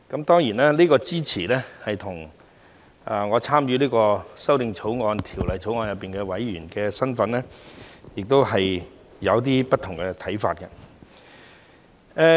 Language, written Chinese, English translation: Cantonese, 當然，這支持與我所參與的法案委員會委員身份亦有一些不同的看法。, Of course by lending my support this time around I have some views which are different from those on account of my membership in the Bills Committee